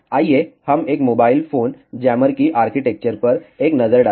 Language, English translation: Hindi, Let us have a look at the architecture of a mobile phone jammer